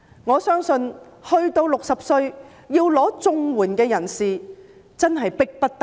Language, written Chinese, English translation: Cantonese, 我相信到了60歲而要申領綜援的人士真的是迫不得已。, I believe people aged 60 who have to apply for CSSA really have no choice but are forced to do so